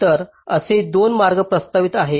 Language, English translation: Marathi, so there are two ways that have been proposed